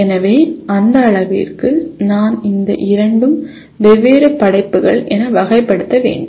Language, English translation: Tamil, So to that extent I have to classify these two are two different works